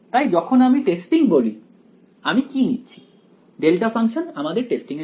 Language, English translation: Bengali, So, when I say testing, what do I am taking delta functions for the testing